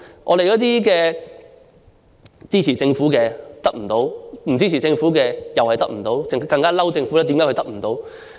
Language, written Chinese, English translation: Cantonese, 我們這些支持政府的人得不到幫助，不支持政府的人也得不到，更埋怨政府為何得不到。, We supporters of the Government are not given any assistance nor are the non - supporters of the Government who complained about neglect by the Government